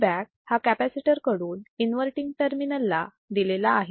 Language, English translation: Marathi, Feedback is given through capacitor to the inverting terminal